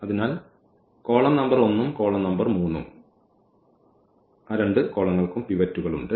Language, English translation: Malayalam, So, this column number 1 and the column number 3 they have the pivots